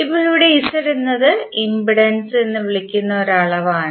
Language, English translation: Malayalam, Now here Z is a quantity which is called impedance